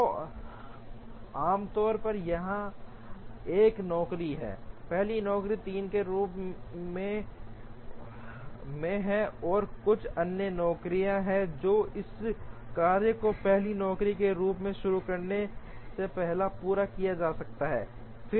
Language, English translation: Hindi, So, typically is there is a job here, as the first job 3 and there is some other job, which can be completed before this job can be started as the first job